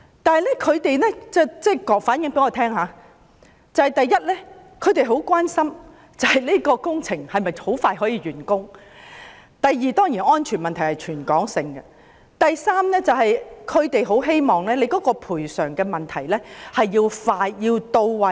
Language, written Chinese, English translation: Cantonese, 但是，他們向我們反映，第一，他們很關心工程可否盡快完工；第二，當然是安全問題，這是全港性的問題；第三，他們很希望賠償要快捷、到位。, However their response was that they were very much concerned about first whether the works could be completed as soon as possible; second its safety which was a territory - wide issue; and third whether expeditious and sufficient compensation would be made